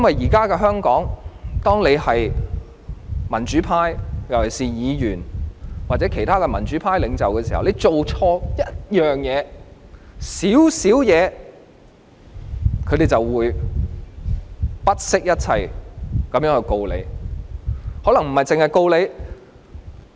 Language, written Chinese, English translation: Cantonese, 現時在香港，當一個人屬於民主派，特別是議員，或其他民主派領袖時，只要做錯一件小事，他們便會不惜一切控告他，更可能不只是控告他一種罪行。, Nowadays in Hong Kong if a person especially a Member who belongs to the pro - democracy camp or is a pro - democracy leader makes a small mistake the authorities will stop at nothing to persecute that person or may even charge that person with more than one offence